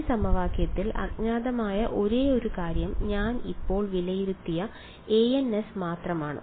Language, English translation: Malayalam, In this equation the only thing unknown was a ns which I have evaluated now